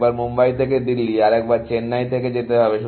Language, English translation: Bengali, Once you have to visit Delhi from Mumbai, and once from Chennai